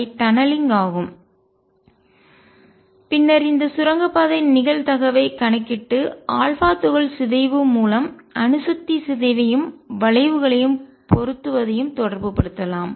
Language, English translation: Tamil, And then one can calculate this tunneling probability and relate that to the decay of nuclear through alpha particle decay and that fitted the curves